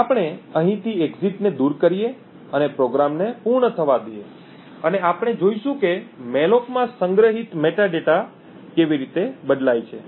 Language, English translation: Gujarati, So, what we will do is remove the exit from here and let the program run to completion and we would see how the metadata stored in the malloc changes